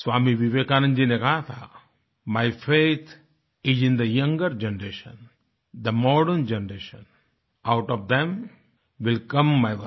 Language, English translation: Hindi, Swami Vivekanand ji had observed, "My faith is in the younger generation, the modern generation; out of them will come my workers"